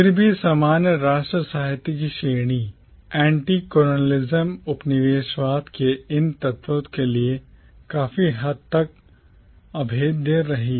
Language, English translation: Hindi, Yet the category of commonwealth literature remained largely impervious to these elements of anti colonialism